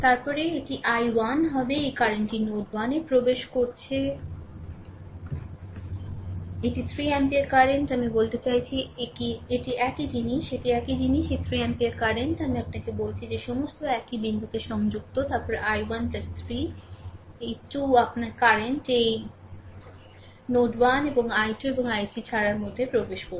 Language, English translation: Bengali, Then it will be i 1, this current is entering at node 1, this is 3 ampere current, I mean this is the same thing this is same thing this 3 ampere current, I told you that all are connected at same point, then i 1 plus 3, these 2 are your this current are entering into the node 1 and i 2 and i 3 leaving